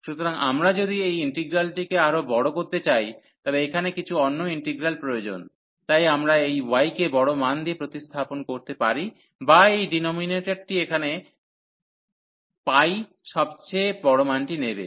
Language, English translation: Bengali, So, if we want to make this integral larger, then some other integral here, so we can replace this y by the larger value or this denominator will be the taking the largest value here at pi here